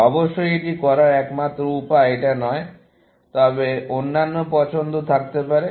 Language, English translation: Bengali, Of course, this is not the only way of doing this, essentially, and there could have been other choices